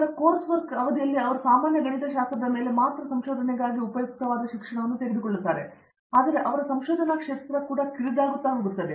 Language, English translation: Kannada, And then during this course work of period they take the courses which are useful for the research also not only on the general mathematics, but also narrowing down to their research area